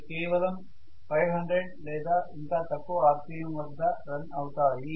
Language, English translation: Telugu, They will run only around 500 or even less rpm